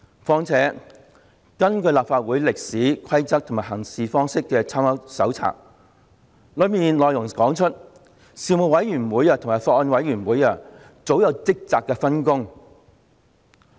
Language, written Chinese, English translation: Cantonese, 況且，根據《立法會歷史、規則及行事方式參考手冊》，事務委員會及法案委員會早有職責上的分工。, What is more according to A Companion to the history rules and practices of the Legislative Council of the Hong Kong Special Administrative Region there has long been division of responsibilities between Panels and Bills Committees